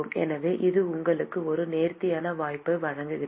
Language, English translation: Tamil, So, this gives you an elegant opportunity